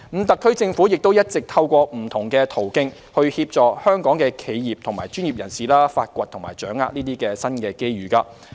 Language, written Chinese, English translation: Cantonese, 特區政府也一直透過不同途徑，協助香港企業和專業人士發掘和掌握這些新機遇。, The SAR Government has also been assisting Hong Kong enterprises and professions through various channels in exploring and capitalizing on these new opportunities